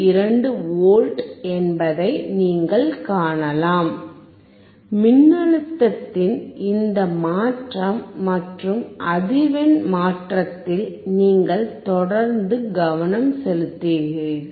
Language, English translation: Tamil, 52 volts, you keep focusing on this change in voltage and change in frequency